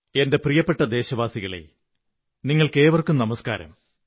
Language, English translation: Malayalam, My dear countrymen, Namaskar to all of you